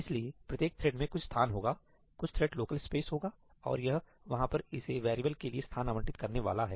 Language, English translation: Hindi, So, every thread will have some space, some thread local space and it is going to allocate space for this variable over there